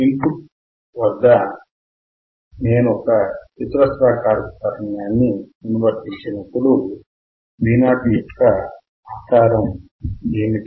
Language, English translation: Telugu, What is the shape of Vo on applying square wave at input